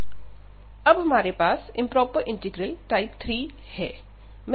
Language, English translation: Hindi, Now, we have these two integrals of type 2 integral